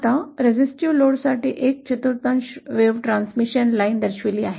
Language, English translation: Marathi, Now a quarter wave transmission line for resistive load is shown here